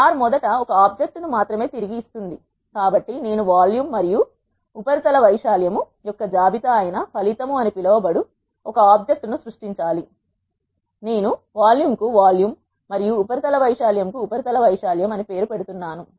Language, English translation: Telugu, Since R returns only one object first I need to create an object called result which is a list of volume and surface area, I am naming the volume as volume and surface area surface area I will calculate this result and ask the function to return one object the result which contains both volume and surface area